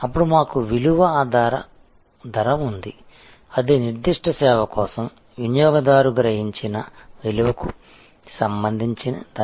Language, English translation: Telugu, Then, we have value base pricing; that is pricing with respect to the value perceived by the consumer for that particular service